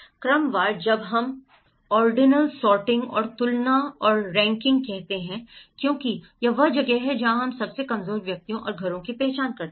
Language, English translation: Hindi, Ordinal; when we say ordinal, sorting and comparing and ranking because this is where we can identify the most vulnerable individuals and households